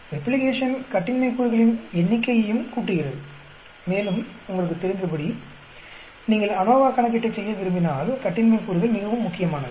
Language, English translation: Tamil, Replication also adds to the number of degrees of freedom, and as you know, degrees of freedom are very important if you want to perform the ANOVA calculation